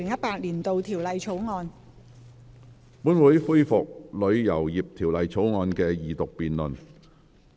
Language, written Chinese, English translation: Cantonese, 本會恢復《旅遊業條例草案》的二讀辯論。, This Council resumes the Second Reading debate on the Travel Industry Bill